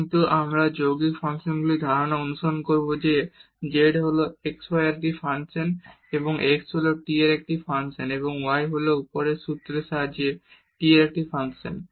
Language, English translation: Bengali, But, we will follow the idea of the composite functions that z is a function of x y and x is a function of t and y is a function of t with the formula derived above